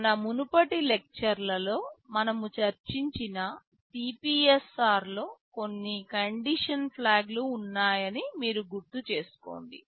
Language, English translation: Telugu, You recall in the CPSR that we discussed in our previous lectures there are some condition flags